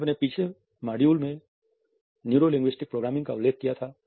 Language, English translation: Hindi, In the previous module we had referred to Neuro linguistic Programming